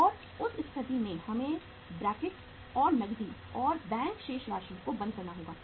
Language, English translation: Hindi, And in that case uh we have to close the bracket plus the amount of the cash and bank balances